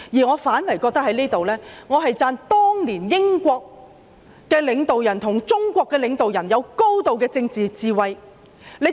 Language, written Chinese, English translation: Cantonese, 我反而認為要稱讚當年英國領導人與中國領導人有高度的政治智慧。, Indeed I think the leaders of the United Kingdom and China back then should be commended for their great political wisdom